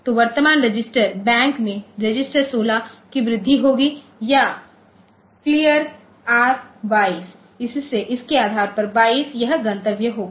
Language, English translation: Hindi, So, in the current register bank register 16 will be incremented or say clear 22, so based on that 22